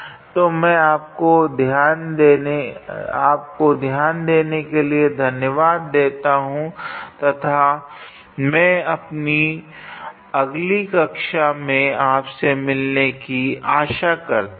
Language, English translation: Hindi, So, I thank you for your attention and I look forward to you in your next class